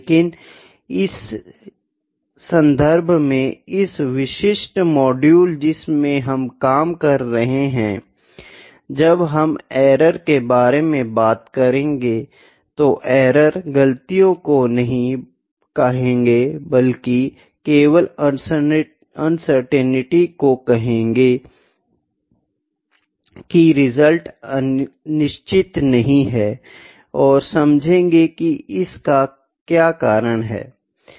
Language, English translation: Hindi, But in this context in this specific module in which we were working, when we will talk about error, the errors are not mistakes, errors is just uncertainty that the results are not certain and we just need to see what is the reason for that